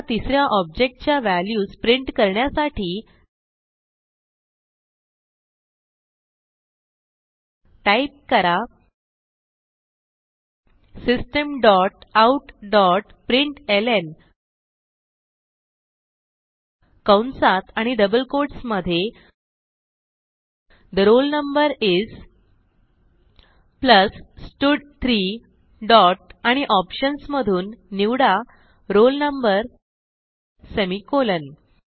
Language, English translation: Marathi, We will now, print the values of the third object So type System dot out dot println within brackets and double quotes The roll no is, plus stud3 dot select roll no semicolon